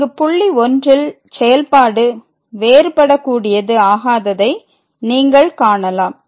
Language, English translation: Tamil, So, there is a point here where the function is not differentiable